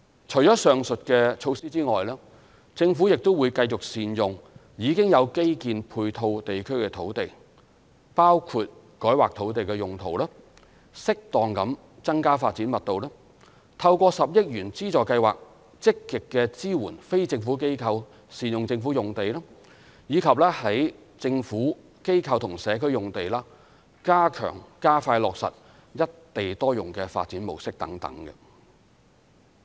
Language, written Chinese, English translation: Cantonese, 除上述措施外，政府亦會繼續善用已經有基建配套地區的土地，包括改劃土地用途、適當地增加發展密度、透過10億元資助計劃積極支援非政府機構善用政府用地，以及在"政府、機構或社區"用地加強、加快落實"一地多用"的發展模式等。, Apart from the aforesaid measures the Government will also continue to make good use of lands in areas with infrastructure facilities by among others rezoning appropriately increasing development intensity proactively supporting the use of government sites by non - government organizations through the 1 billion funding scheme as well as enhancing and expediting the implementation of the single site multiple use model in developments on Government Institution or Community sites